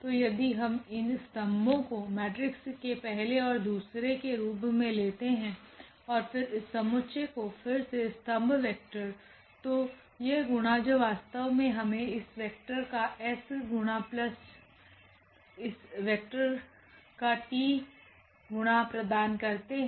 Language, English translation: Hindi, So, if we put these 2 columns as the first and the second column of a matrix and then this s t again column vector there, so that multiplication which exactly give this s times this vector plus t times this vector